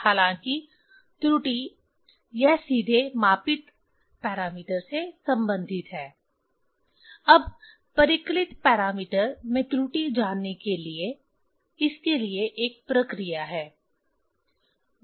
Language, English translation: Hindi, Error although it is directly involve with the measured parameter, now to get the error in calculated parameter, so there is a procedure